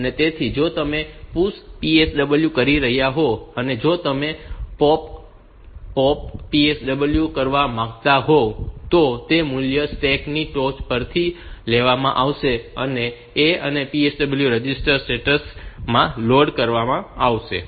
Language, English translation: Gujarati, So, if you are doing a push PSW, and if you want to do a POP, POP PSW then those values will be taken from the top of the stack and loaded into the a and PSW register status register